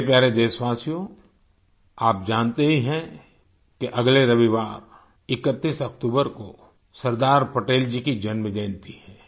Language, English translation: Hindi, you are aware that next Sunday, the 31st of October is the birth anniversary of Sardar Patel ji